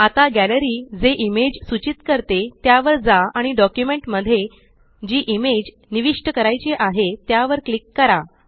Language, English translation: Marathi, Now go through the images which the Gallery provides and click on the image you want to insert into your document